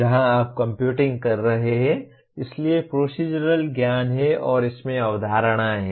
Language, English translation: Hindi, Here you are computing, so there is procedural knowledge and there are concepts in that